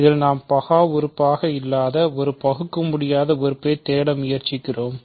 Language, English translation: Tamil, And in this we are trying to look for an irreducible element which is not prime